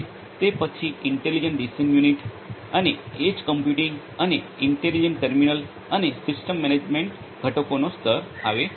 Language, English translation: Gujarati, Then comes this layer of intelligent decision unit and edge computing, and the intelligent terminals, and system management components